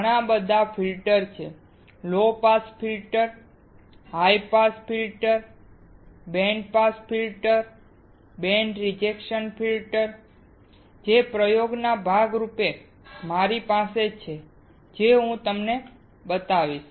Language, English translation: Gujarati, There are several type of filters low pass filter, high pass filter, band pass filter, band reject filter that I have as a part of the experiment that I will show you